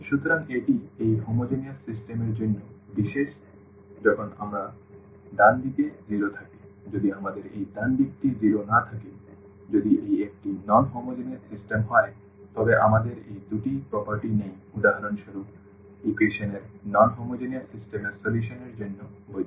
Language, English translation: Bengali, So, that is special for this homogeneous system when we have the right hand side 0, if we do not have this right hand side 0; if it is a non homogeneous system we do not have this property these two properties for example, valid for the solution of non homogeneous system of equations